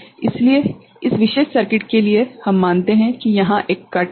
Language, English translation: Hindi, So, here for this particular circuit we consider there is a cut over here